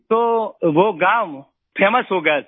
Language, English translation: Hindi, So the village became famous sir